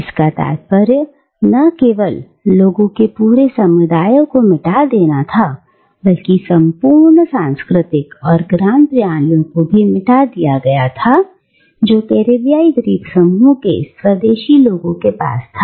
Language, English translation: Hindi, And this meant not only a wiping out of a whole community of people, but also a wiping out of entire cultural and knowledge systems, which the indigenous people of a Caribbean islands possessed